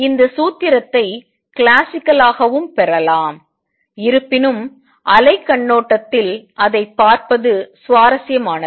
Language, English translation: Tamil, This formula can also be derived classically; however, it is interesting to look at it from the wave perspective